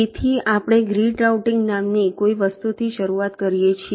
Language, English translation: Gujarati, so we start with something called grid routing